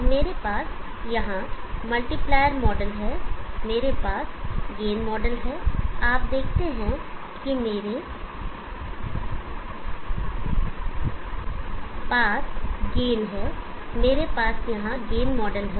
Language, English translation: Hindi, So I have the multiplier model here, I have the gain model you see that I have use gain, I have the gain model here